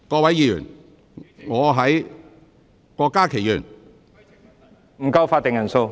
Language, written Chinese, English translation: Cantonese, 會議廳內法定人數不足。, There is a lack of quorum in the Chamber